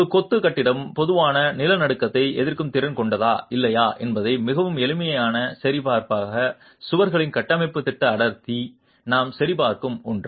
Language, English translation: Tamil, As a very simple check on whether a masonry building has adequate earthquake resistance or not, the structural plan density of walls is something that we check